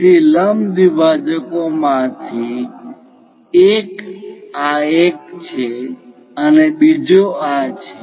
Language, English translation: Gujarati, So, one of the perpendicular bisector is this one, other one is this